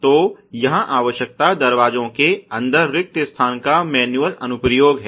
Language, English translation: Hindi, So, the requirement here is the manual application of vacs inside doors ok